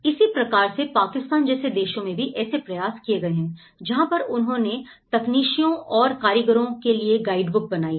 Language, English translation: Hindi, Similarly, there are efforts in Pakistan in countries like Pakistan, there have been a guidebook for technicians and artisans, they call it as artisans